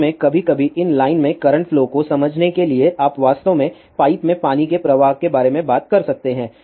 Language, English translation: Hindi, In fact, some tends to understand current flow in these line you can actually thing about a water flow in a pipe